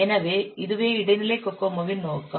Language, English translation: Tamil, So let's see how this intermediate Kokomo proceeds